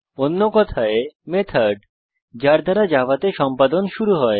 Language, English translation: Bengali, In other words the method from which execution starts with java